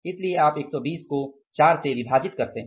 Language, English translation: Hindi, So, you are dividing 120 by 4